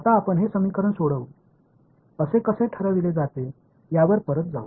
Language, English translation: Marathi, Now, we will go back to how we are decided we will solve this equation